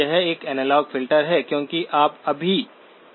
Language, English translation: Hindi, It is an analog filter, because you have not yet gone to the A to D